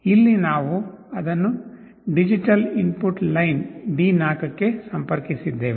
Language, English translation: Kannada, Here, we have connected it to the digital input line D4